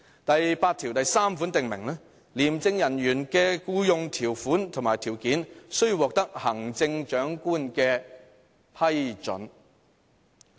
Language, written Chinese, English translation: Cantonese, "第83條訂明："廉署人員的僱用條款及條件，須獲得行政長官批准"。, Under Section 83 [t]he terms and conditions of employment of officers shall be subject to the approval of the Chief Executive